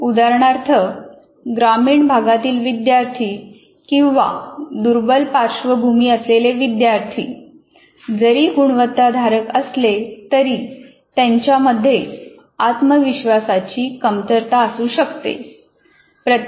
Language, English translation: Marathi, For example, students from rural or disadvantaged backgrounds, though they are reasonably competent, will always have a question of lack of confidence